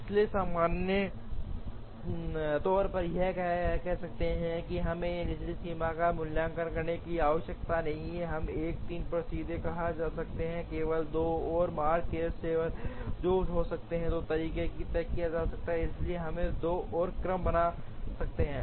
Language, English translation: Hindi, So, in general one would say even here we need not have evaluated this lower bound, we could have straight away said at 1 3, there are only 2 more jobs remaining, which can be fixed in 2 ways, so we could create 2 more sequences